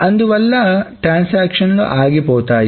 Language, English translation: Telugu, So, why would transactions fail